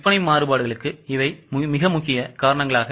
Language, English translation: Tamil, These are the major reasons for sales variances